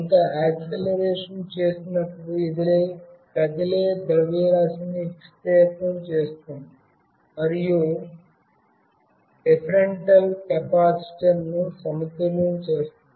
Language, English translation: Telugu, When some acceleration is made this deflects the moving mass, and unbalances the differential capacitor